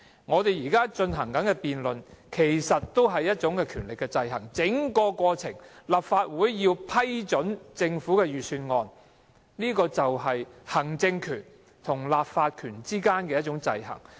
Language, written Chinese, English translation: Cantonese, 我們現正進行的辯論其實也是一種權力的制衡，立法會在通過或否決政府預算案的過程中，便見到行政權和立法權之間的制衡。, The debate in which we are now engaging actually is also a kind of checks and balances of powers . The process in which the Legislative Council approves or disapproves the Government Budget sees the checks and balances between the executive power and the legislative power